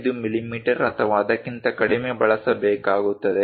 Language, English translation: Kannada, 5 millimeters or lower than that